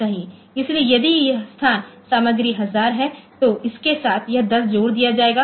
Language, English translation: Hindi, So, if this location content is a 1000, so with that this 0 will be this 10 will be added